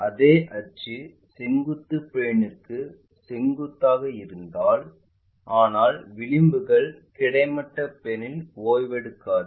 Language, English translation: Tamil, In case same axis perpendicular to vertical plane, but edges it is not just resting on horizontal plane